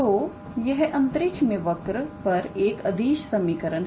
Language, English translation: Hindi, So, this is the scalar equation for a curve in space